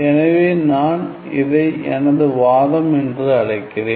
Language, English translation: Tamil, So, I call this as my, my argument